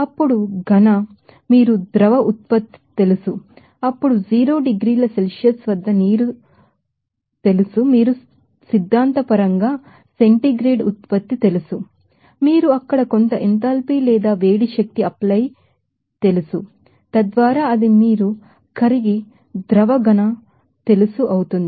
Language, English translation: Telugu, Then solid, you know water at 0 degrees Celsius whenever it will be you know becoming to liquid generate that theoretically centigrade you have to you know apply some enthalpy or heat energy there, so, that it will become that you know solid to liquid just by melting